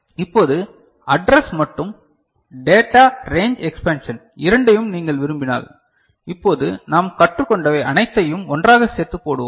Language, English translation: Tamil, Now, if you want both address and data range expansion; whatever we have learnt just now we shall put them together